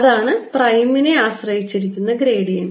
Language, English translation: Malayalam, that is the gradient with respect to prime